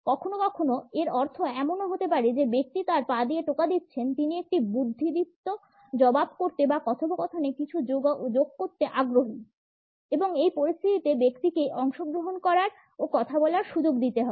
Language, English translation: Bengali, Sometimes, it may also mean that the person who is tapping with his or her foot is interested in passing on a repartee or to add something to the dialogue and in this situation the person has to be given an opportunity to participate and speak